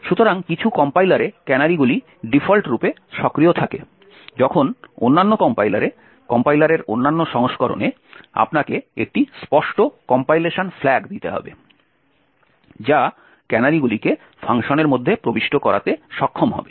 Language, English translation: Bengali, So, in some compilers the canaries are enable by default while in other compiler, other versions of the compiler you would have to give an explicit compilation flag that would enable canaries to be inserted within functions